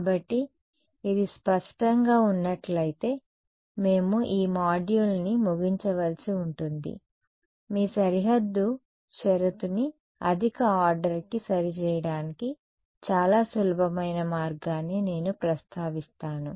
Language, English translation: Telugu, So, if this is clear then we need to conclude this module will I just mention one very simple way of making your boundary condition accurate for higher order ok